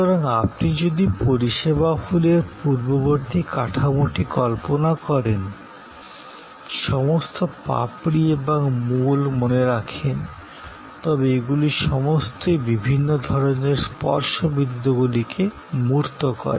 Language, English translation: Bengali, So, if you remember the earlier model of the service flower, all the petals and the core, they all embody different sort of touch points